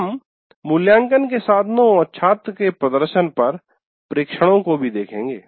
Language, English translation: Hindi, And we will also look at observations on assessment instruments and student performance